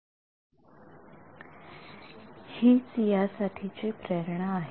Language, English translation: Marathi, So this is the motivation for it